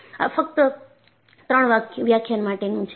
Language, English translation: Gujarati, This is simply for three lectures